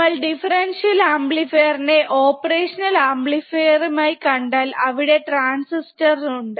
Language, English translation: Malayalam, So, when we see differential amplifier op amp and differential amplifier within the op amp there are transistors